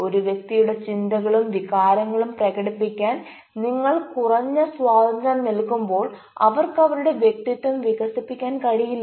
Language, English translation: Malayalam, so when you are giving less freedom to a person to express his thoughts and feelings, you cannot develop individuality